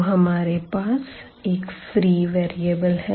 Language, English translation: Hindi, So, we have the free variable